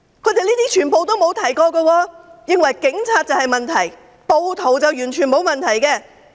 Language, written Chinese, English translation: Cantonese, 這些他們全部沒有提及，他們認為警察才有問題，暴徒完全沒有問題。, They made no mention of these at all . They opine that only the Police have problems whereas rioters absolutely have no problem